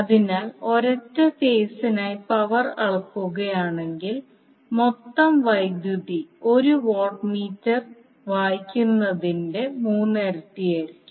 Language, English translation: Malayalam, So if we measure power for one single phase the total power will be three times of the reading of 1 watt meter